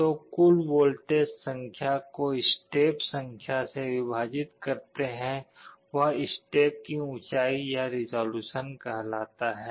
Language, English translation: Hindi, So, the total voltage divided by the number of steps will be the height of every step or resolution